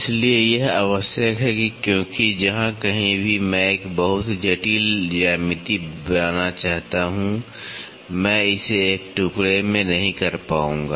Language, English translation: Hindi, So, this is required because wherever I wanted to create a very complex geometry, I will not be able to do it in a single piece